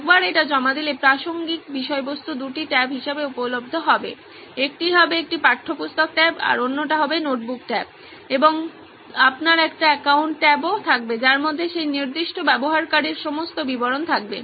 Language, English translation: Bengali, Once its submitted the relevant content will be available as two tabs, one will be a textbook tab and one will be a note tab and you will also have an account tab which has all the details of that particular user